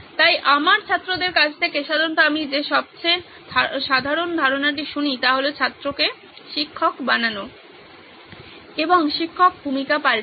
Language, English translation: Bengali, So the most common idea that normally I hear from my students is let’s make the student a teacher and the teacher reverses the role